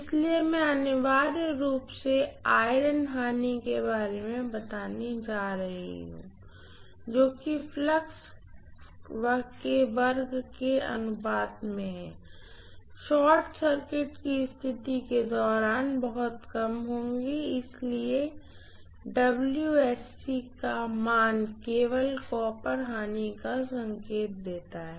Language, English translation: Hindi, So I am going to have essentially the iron losses which are proportional to flux square approximately will be very low during short circuit condition, so the losses WSE value indicates only copper losses